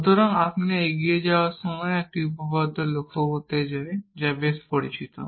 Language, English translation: Bengali, So, before you move on i want to mention one theorem, which is quite well known